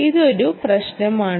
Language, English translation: Malayalam, that is the issue